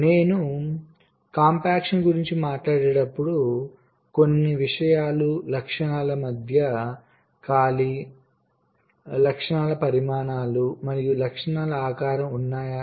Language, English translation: Telugu, fine, so when i talk about compaction there are a few things: space between the features, size of the features and shape of the features